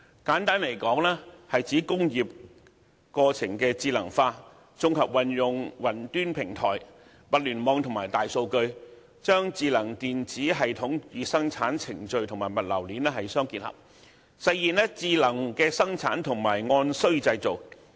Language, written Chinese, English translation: Cantonese, 簡單來說，是指工業過程智能化，綜合運用雲端平台、物聯網和大數據，將智能電子系統與生產程序和物流鏈相互結合，實現智能生產和按需製造。, To put it simply it refers to the implementation of intelligent manufacturing and on - demand manufacturing through the integrated application of cloud platforms Internet of Things and big data interlinking the smart electronic system with the manufacturing process and the logistic chain